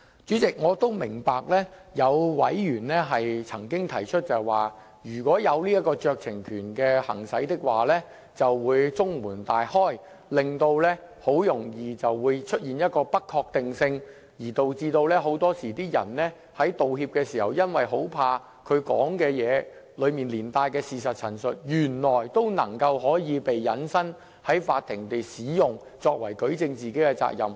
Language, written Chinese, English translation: Cantonese, 主席，我也明白有委員曾經提出，如果容許裁斷者行使酌情權，就會中門大開，導致很容易便會出現不確定性，而導致很多人在道歉時，恐怕他所說的話中連帶的事實陳述，原來會被引申在法庭使用，作為舉證自己的法律責任。, President I am also aware of the concern of some members that the gate will be left wide open and thus uncertainties will easily arise if we allow the decision maker to exercise discretion . The discretion will strike fear into apology makers that the statements of fact accompanying their apologies will be used in court proceedings to prove their legal liabilities